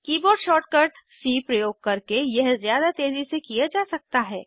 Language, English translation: Hindi, This can also be done more quickly using the keyboard shortcut c